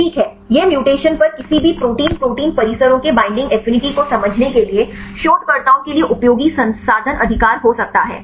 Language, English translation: Hindi, This could be useful resource right for researchers to understand the binding affinity right of any Protein protein complexes upon mutations